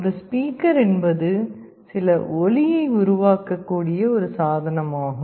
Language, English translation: Tamil, A speaker is a device through which we can generate some sound